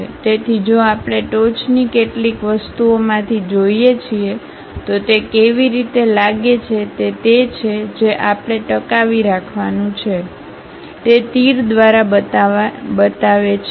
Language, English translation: Gujarati, So, if we are looking from a top few thing, the way how it looks like is the part whatever we are going to retain show it by arrows